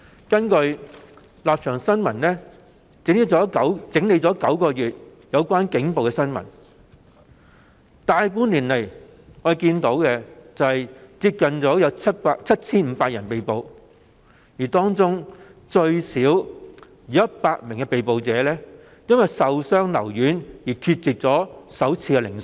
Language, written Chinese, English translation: Cantonese, 根據《立場新聞》整理9個月以來有關警暴的新聞，在過去大半年來，有接近 7,500 人被捕，當中最少有100名被捕人士因受傷留院而缺席首次聆訊。, According to Stand News which has compiled news reports on police brutality in the past nine months nearly 7 500 people have been arrested in the past six months or so among which at least 100 were absent from first court hearing because they were hospitalized for having sustained injuries